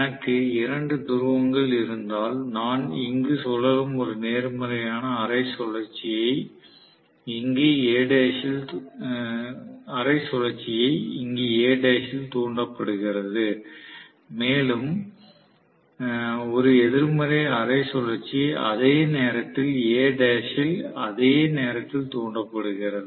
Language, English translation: Tamil, So, if I have two poles, I should have this rotating in such a way that I am going to have basically positive half cycle is induced here and negative half cycle is induced at the same point in A dash at the same instant of time in A dash